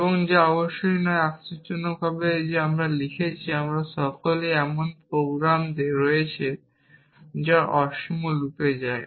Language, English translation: Bengali, And which is not of course, surprising that we have written all of us have written programs which get into infinite loop